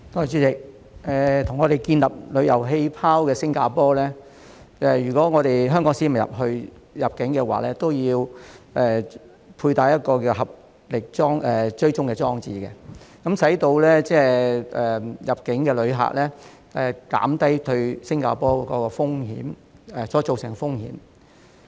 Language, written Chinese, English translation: Cantonese, 主席，與香港建立旅遊氣泡的新加坡要求，香港市民如要入境，便要安裝名為"合力追蹤"的手機應用程式，以減低入境旅客對新加坡造成的風險。, President Singapore which has set up a travel bubble with Hong Kong requires Hong Kong people to install a mobile app called TraceTogether before entry so as to minimize the risk posed to Singapore by arrivals